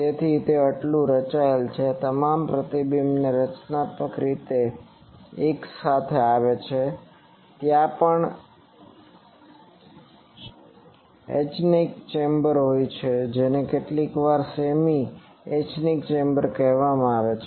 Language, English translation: Gujarati, So, it is so designed that all reflections come together constructively, also there are anechoic chambers are sometimes called semi anechoic chamber